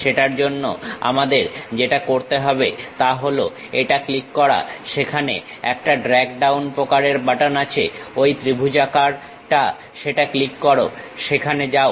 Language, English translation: Bengali, For that what we have to do is click this one there is a drag down kind of button the triangular one click that, go there